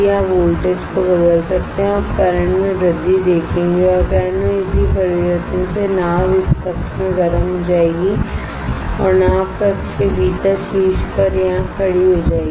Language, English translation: Hindi, You can change the voltage and you will see increase in current and that corresponding change in current will cause the boat to heat within this chamber and the boat will stand here in the top within the chamber